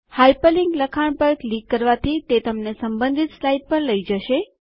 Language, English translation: Gujarati, Clicking on the hyper linked text takes you to the relevant slide